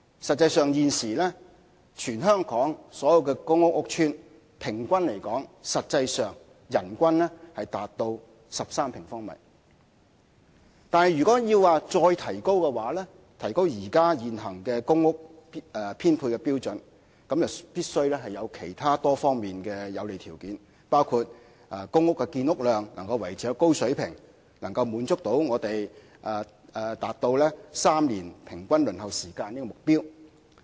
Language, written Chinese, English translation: Cantonese, 實際上，現時全港所有公共屋邨的平均人均居住面積達到13平方米。但是，如果要再提高現行的公屋編配標準，則必須有其他多方面的有利條件，包括公屋建屋量能夠維持高水平，可達至3年平均公屋輪候時間的目標。, In reality the average living space per person in all PRH estates over the territory reaches 13 sq m However if the current PRH allocation standard is to be raised further it must be complemented by other favourable conditions including the production volume of PRH must be maintained at a high level to meet the target of three - year average waiting time for PRH allocation